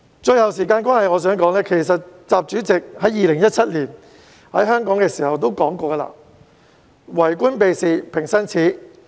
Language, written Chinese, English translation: Cantonese, 最後，由於時間關係，我想指出，習主席在2017年來香港的時候曾說，"為官避事平生耻"。, They have to bear in mind that serving the people is their original purpose . Lastly due to limited time I wish to point out that in his Hong Kong visit in 2017 President XI said that an official who avoids duty should feel ashamed